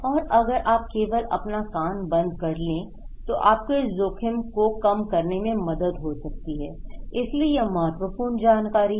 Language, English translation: Hindi, But also, that if you simply putting your ear that can help you to reduce this risk exposure okay, so these are important information